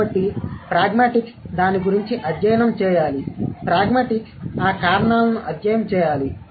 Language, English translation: Telugu, Pragmatics should be the study of those reasons